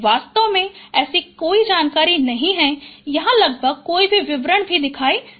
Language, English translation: Hindi, In fact, there is no such information, no so almost no details are visible here